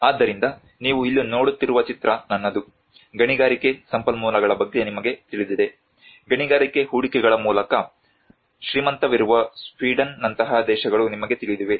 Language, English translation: Kannada, So in the photograph what you are seeing here is mine, you know countries like Sweden the rich by means of mining investments you know the mining resources